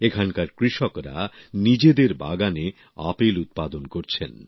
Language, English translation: Bengali, Farmers here are growing apples in their orchards